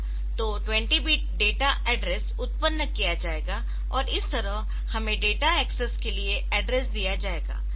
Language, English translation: Hindi, So, 20 bit data address will be generated, so that will be giving as the address for the data access